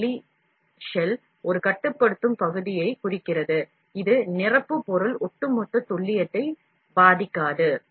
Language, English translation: Tamil, This outer shell also represents a constraining region, that will prevent the filler material from affecting the overall precision